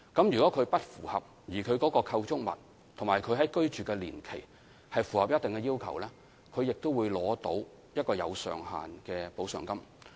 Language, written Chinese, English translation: Cantonese, 如果他們不符合有關條件，但其構築物和居住年期符合特定要求，他們也會取得一筆設有上限的特惠津貼。, If they do not meet such criteria but their structures and length of occupation meet specific requirements they will also be paid ex - gratia allowances subject to a ceiling